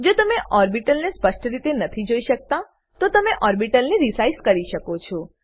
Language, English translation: Gujarati, In case you are not able to view the orbital clearly, you can resize the orbital